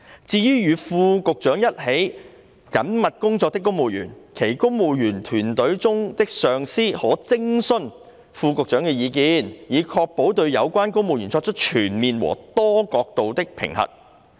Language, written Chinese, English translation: Cantonese, 至於與副局長一起緊密工作的公務員，其公務員隊伍中的上司可徵詢副局長的意見，以確保對有關公務員作出全面和多角度的評核。, For civil servants who work closely with under secretaries their supervisors in the Civil Service may seek the views of under secretaries to ensure a comprehensive and multi - dimensional assessment of the civil servants concerned